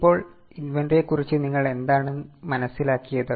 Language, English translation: Malayalam, Now, what do you understand by inventory